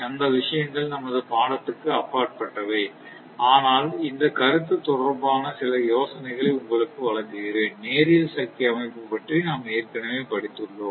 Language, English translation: Tamil, So, those things are beyond the scope, but giving you some ideas regarding this concept, we will already consider about your what you call the linear power system